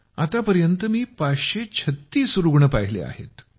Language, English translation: Marathi, So far I have seen 536 patients